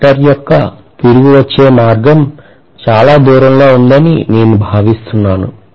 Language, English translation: Telugu, I am assuming that the return path of the conductor is very far away